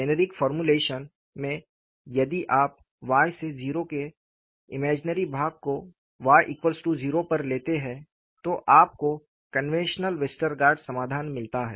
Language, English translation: Hindi, In the generic formulation, if you take the imaginary part of Y to 0, on y equal to 0, then you get the conventional Westergaard solution